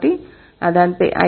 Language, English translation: Telugu, So that's what